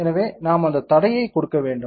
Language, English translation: Tamil, So, we have to give that constraint